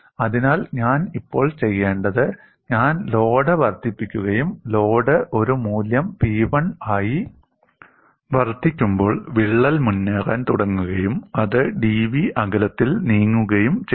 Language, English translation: Malayalam, So, what I will do now is, I will increase the load and observe the crack has started to advance when the load has increased to a value P1, and it has moved by a distance d v